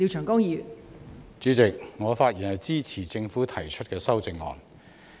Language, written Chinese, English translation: Cantonese, 代理主席，我發言支持政府提出的修正案。, Deputy Chairman I rise to speak in support of the amendments proposed by the Government